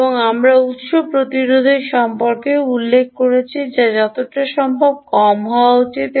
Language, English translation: Bengali, and we also mentioned about source resistance, which is which has to be as low as possible, ah